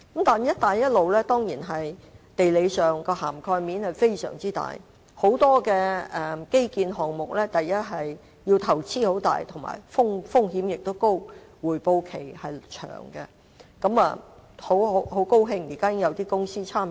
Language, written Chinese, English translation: Cantonese, 但是，"一帶一路"在地理上的涵蓋面當然非常大，很多基建項目的投資大、風險高、回報期長，很高興現時已經有一些公司參與。, The Belt and Road Initiative certainly covers a wide geographical area and many infrastructure projects require huge investment which are risky and have a long payback period . I am very glad that some companies have already participated in these projects